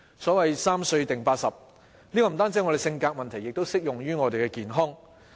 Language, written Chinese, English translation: Cantonese, 所謂"三歲定八十"，這不單是我們的性格，亦適用於我們的健康。, The saying Child is the father of man is applicable not only to our character but also to our health